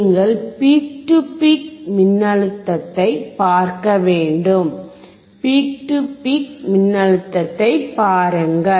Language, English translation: Tamil, You have to see the peak to peak voltage, look at the peak to peak voltage